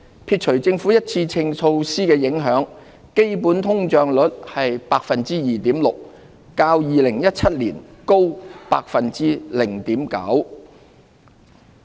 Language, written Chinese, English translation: Cantonese, 撇除政府一次性措施的影響，基本通脹率為 2.6%， 較2017年高 0.9%。, Netting out the effects of the Governments one - off measures the underlying inflation rate was 2.6 % up by 0.9 % from 2017